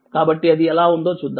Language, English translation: Telugu, So, let us see how is it